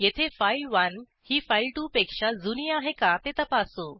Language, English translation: Marathi, Here we check whether file1 is older than file2